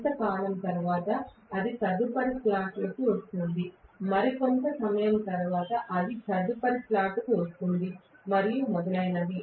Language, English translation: Telugu, After sometime, it is coming to the next slot, after some more time it comes to the next slot and so on and so forth